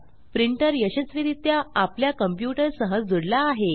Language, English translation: Marathi, Our printer is successfully added to our computer